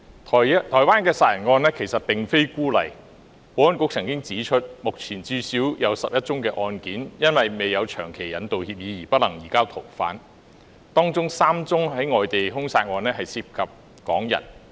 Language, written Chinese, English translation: Cantonese, 台灣殺人案並非孤例，保安局曾指出，目前至少有11宗案件，因未有長期引渡協議而不能移交逃犯，當中有3宗外地兇殺案涉及港人。, The Taiwan murder case is not an isolated one . As pointed out by the Security Bureau there are currently at least 11 cases in which the suspects cannot be surrendered owing to the absence of a permanent extradition agreement . Among them there are three foreign homicide cases involving Hongkongers